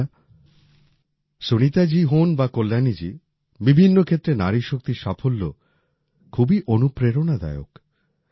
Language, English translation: Bengali, Friends, whether it is Sunita ji or Kalyani ji, the success of woman power in myriad fields is very inspiring